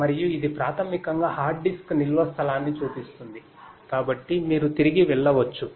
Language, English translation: Telugu, And also this basically shows the hard disk storage space right, so you could get in go back and so on